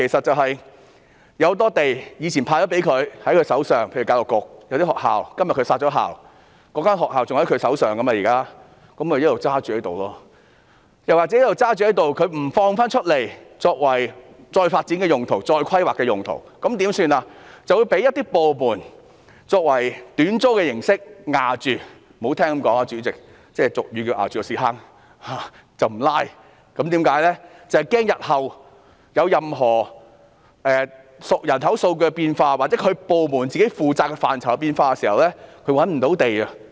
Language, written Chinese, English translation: Cantonese, 多個部門以往獲分配多幅土地，例如教育局在某些學校被殺校後一直持有學校的用地，沒有釋放出來作再發展或再規劃用途，反而允許一些部門以短租形式霸佔，說得難聽一點，便是"佔着茅坑不拉屎"，以防日後人口數據或其部門負責的範疇出現變化時無法覓地。, For example the Education Bureau has all along kept the sites of vacant school premises without releasing them for further development or planning . Instead it has allowed some government departments to occupy the sites on short - term tenancies . To put it bluntly the Education Bureau occupies the toilets without defecating so as to avoid the difficulty of obtaining sites in the future when changes occur in population figures or the scope of its duties